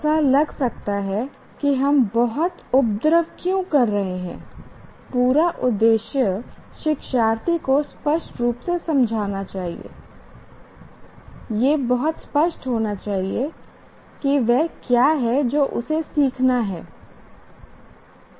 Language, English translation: Hindi, But as I said, it should be clear to the student, the whole purpose is learner should clearly understand, should be very clear about what is it that he should learn